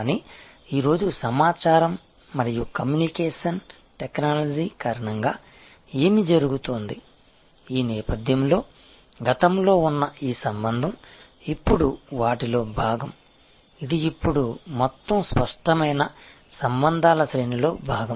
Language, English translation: Telugu, But, what is happening today due to information and communication technology, this relationship which was earlier in the back ground is now part of the, it is now part of the overall very explicit range of relationships